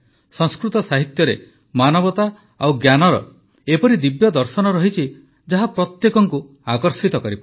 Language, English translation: Odia, Sanskrit literature comprises the divine philosophy of humanity and knowledge which can captivate anyone's attention